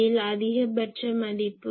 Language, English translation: Tamil, So, in this case , this maximum value is 1